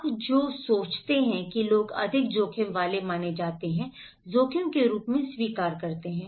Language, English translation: Hindi, Which one you think people considered more risky, accept as risk